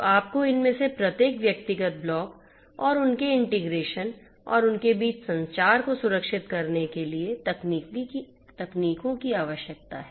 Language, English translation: Hindi, So, you need to have techniques for securing each of these individual blocks plus their integration and the communication between them